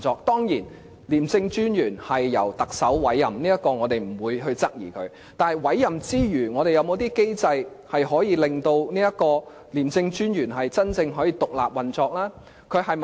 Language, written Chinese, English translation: Cantonese, 當然，廉政專員由特首委任，這點我們不會質疑，但委任之餘，我們是否應設有一些機制，令廉署能夠真正獨立運作呢？, Of course the Commissioner of ICAC is to be appointed by the Chief Executive and this is a point we will not question . But apart from allowing for such appointment should we not establish some mechanism to enable the ICAC to truly operate independently?